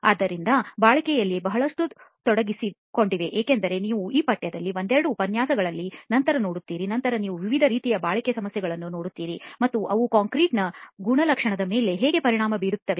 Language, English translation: Kannada, So there is a lot involved in durability as you will see later in a couple of lectures that are in this course later on you will see different types of durability problems and how they affect the concrete properties